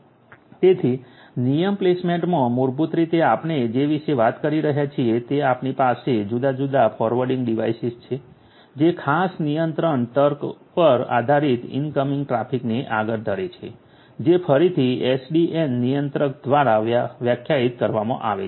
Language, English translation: Gujarati, So, in the rule placement basically what we are talking about is that we have different forwarding devices that forward the incoming traffic based on certain control logic that is again defined by the SDN controller